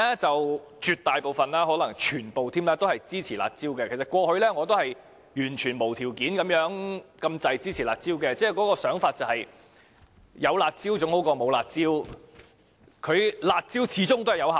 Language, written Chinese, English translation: Cantonese, 絕大部分或甚至可能全部民主派議員均支持"辣招"，過去我差不多是完全無條件地支持"辣招"，認為有總比沒有好，它們始終是有效的......, The absolute majority or even all Members of the pro - democracy camp support the curb measures . In the past I almost completely supported the curb measures without any condition thinking that having them was better than having nothing